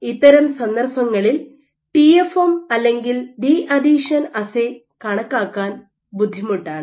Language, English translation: Malayalam, So, in these cases it is difficult to use TFM or deadhesion assay to estimate